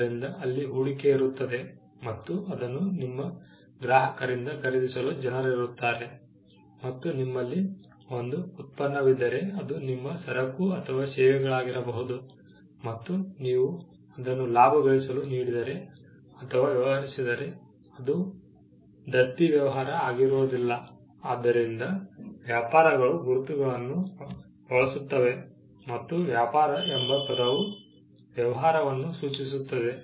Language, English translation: Kannada, So, there is an investment, there are people who would buy it from your customers, and there is an output from you, which is your goods or services and you are in for making a profit, so you are not a charitable business So, businesses are the ones, which use trade marks and the word trade itself refers to business